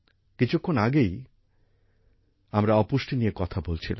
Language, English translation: Bengali, We referred to malnutrition, just a while ago